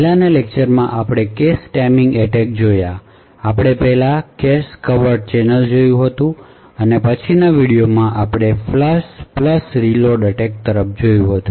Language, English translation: Gujarati, In the previous lectures we have been looking at cache timing attacks, we had looked at the cache covert channel first and then in the later video we had looked at the Flush + Reload attack